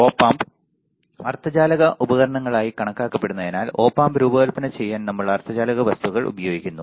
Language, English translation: Malayalam, So, as Op Amps are considered as semiconductor devices because we are using semiconductor material to design the Op Amp